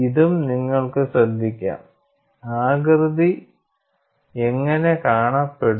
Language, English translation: Malayalam, And this also you can notice, how does the shape look like